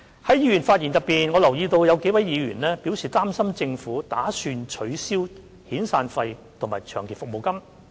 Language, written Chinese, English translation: Cantonese, 在議員的發言中，我留意到有幾位議員表示擔心政府打算取消遣散費及長期服務金。, I have noted from Members speeches that several Members were concerned that the Government intended to abolish severance payments and long service payments